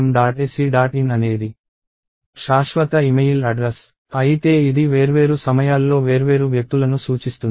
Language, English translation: Telugu, in is a permanent email address, but this in turn points to different people at different times